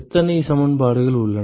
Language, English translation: Tamil, How many equations are there